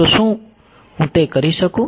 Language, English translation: Gujarati, So, can I do that